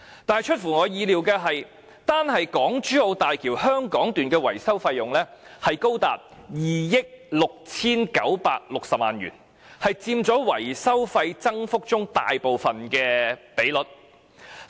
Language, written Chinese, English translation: Cantonese, 但出乎我意料的是，單是港珠澳大橋香港段的維修費用已高達2億 6,960 萬元，佔維修費增幅中大部分的比例。, However what I have not expected is that just the maintenance cost of the Hong Kong section of the HZMB would be as high as 269.6 million which accounts for the major portion of the upsurge in the maintenance cost